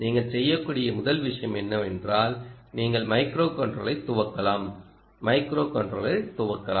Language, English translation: Tamil, first thing you can do is you can boot the microcontroller